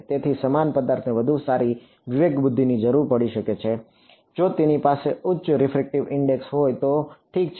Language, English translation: Gujarati, So, the same object may need a better discretization; if it had a higher refractive index ok